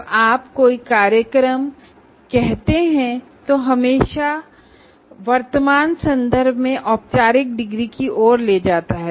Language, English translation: Hindi, So when you say a program, it always leads to a kind of a formal degree